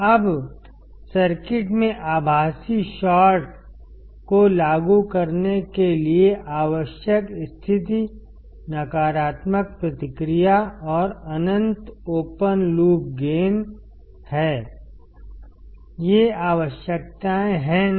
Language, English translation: Hindi, Now, the condition required to apply virtual short in the circuit is the negative feedback and infinite open loop gain; these are the requirements is not it